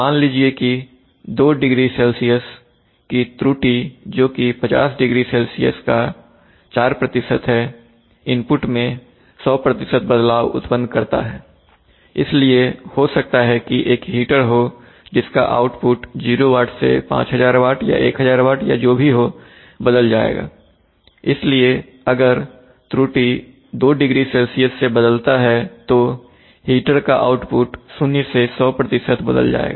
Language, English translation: Hindi, Right suppose an error of 20C which is 4% of 500C, causes an input change by 100% , so maybe there is a heat or who whose output will change from 0 watt to 5000 watts or 1000 watts or whatever, so if the error changes by 20C then the heater output will change from 0% to 100% , so in such a case 4% change in error causes a 100% change in input